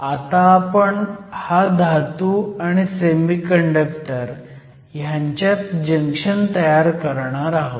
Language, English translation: Marathi, From there, we will form a junction between a Metal and a Semiconductor